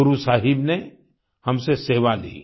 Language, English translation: Hindi, Guru Sahib awarded us the opportunity to serve